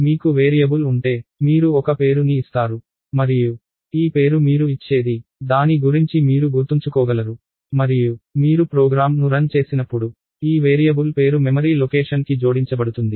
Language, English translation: Telugu, So, if you have a variable you use a name and this name is something that you gives so, that you can remember what it is about and in turn this variable name is attached to a memory location, when you run the program